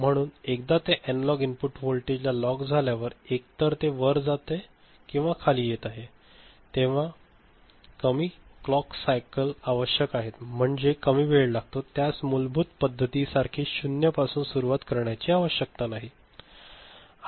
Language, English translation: Marathi, So, once it gets locked to the analog input voltage either it is going up or coming down, smaller number of clock cycles are required, it does not need to begin from 0 for the basic method